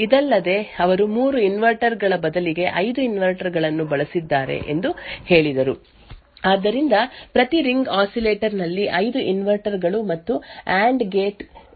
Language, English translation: Kannada, Further, they also said that instead of 3 inverters they had used 5 inverters, so one each ring oscillator had 5 inverters and an AND gate